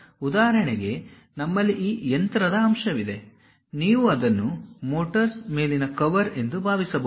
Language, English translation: Kannada, So, for example, we have this machine element; you can think of this one as a top cover of a motor